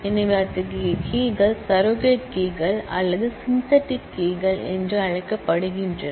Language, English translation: Tamil, So, such keys are known as surrogate keys or synthetic keys